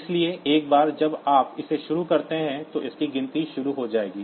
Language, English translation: Hindi, So, once you start it, so it will start counting up